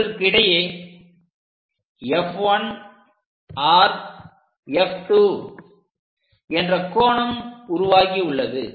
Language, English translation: Tamil, We have this angle F 1 R F 2